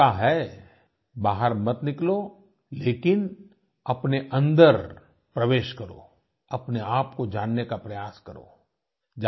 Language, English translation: Hindi, This is your chance, don't go out, but go inside, try to know yourself